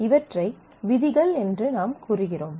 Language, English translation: Tamil, So, we say these are rules